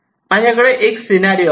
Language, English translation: Marathi, let me work out a simple scenario